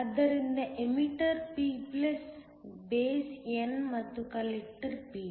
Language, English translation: Kannada, So the emitter is p+, the base is n and the collector is p